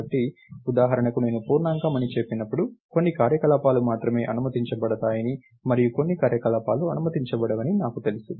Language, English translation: Telugu, So, for instance the moment I say integer, I know that only certain operations are allowed and certain operations are not allowed and so, on